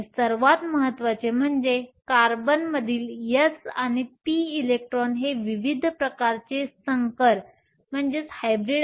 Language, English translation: Marathi, And more importantly the s and the p electrons in carbon can form a variety of hybridizations